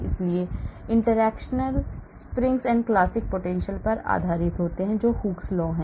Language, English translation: Hindi, so interactions are based on springs and classical potentials that is Hooke’s law